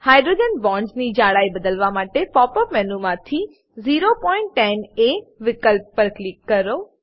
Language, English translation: Gujarati, To change the thickness of hydrogen bonds, Click on 0.10 A option from the pop up menu